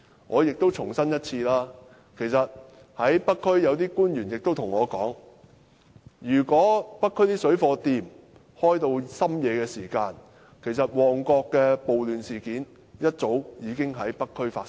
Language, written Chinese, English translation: Cantonese, 我亦重申一次，北區有官員對我說，如果北區的水貨店營業至深夜，其實旺角的暴亂事件會一早已在北區發生。, Let me say it once again . A government official from the North District has told me that if the shops selling parallel goods could operate till midnight a riot like that in Mong Kok would long since have been happened in the North District